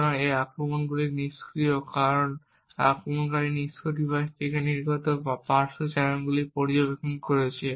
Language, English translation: Bengali, So, these attacks are passive because the attacker is passively monitoring the side channels that are emitted from the device